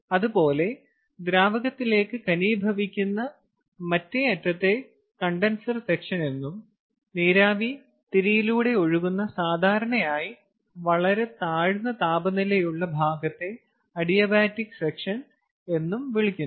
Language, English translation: Malayalam, similarly, therefore, the other end, where it is condensing back to liquid, is known as the condenser section, and the section in between, where the vapor is flowing along the core and where we normally see very low temperature drop, is known as adiabatic section